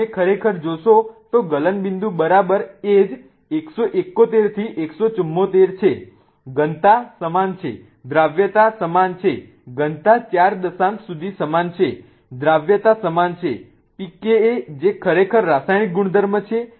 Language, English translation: Gujarati, If you really see the melting point is exactly the same 171 to 174, the density is the same, the solubility is the same density is same up to the four decimal point right